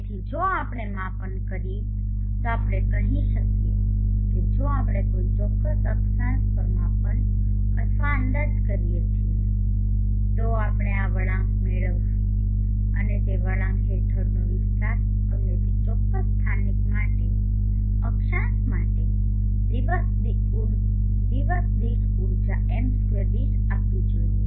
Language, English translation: Gujarati, So if we make measurements let us say if we make either measurements or estimation at particular latitude, we will get this curve and the area under the curve should give us the energy per m2 per day for that particular local latitude